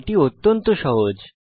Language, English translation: Bengali, This is simple too